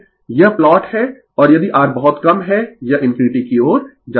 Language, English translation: Hindi, This is the plot and if R if R is very low it tends to infinity right